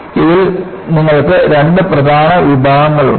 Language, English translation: Malayalam, So, in this, you have two main categories